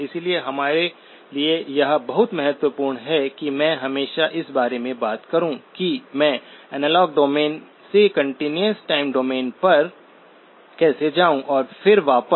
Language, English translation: Hindi, So therefore, it is very important for us to be able to always talk about how do I go from the analog domain to the continuous time domain and then back